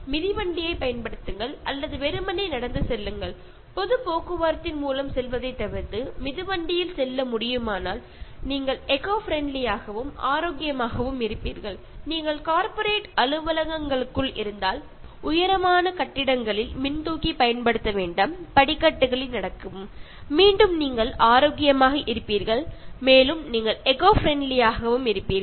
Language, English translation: Tamil, Use bicycle or simply walk, so if it is possible if you can even avoid going by public transport and using cycle by that way you will become eco friendly and healthy and if you are inside corporate offices, tall buildings do not use lifts, walk up the stairs, again you will be healthy and you will be eco friendly also